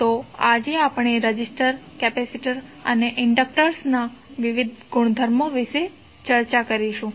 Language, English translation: Gujarati, So, today we will discuss the various properties of resistors, capacitors, and inductors